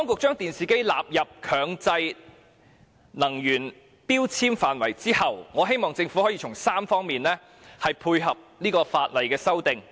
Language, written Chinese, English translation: Cantonese, 在電視機納入強制性標籤計劃後，我希望政府可以從3方面配合《修訂令》。, After the inclusion of TVs in MEELS I hope the Government will comply with the Amendment Order in three aspects